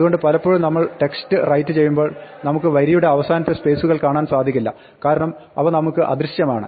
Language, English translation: Malayalam, So, remember when you write out text very often we cannot see the spaces the end of the line because they are invisible to us